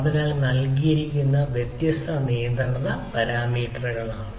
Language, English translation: Malayalam, so these are the different control parameters provided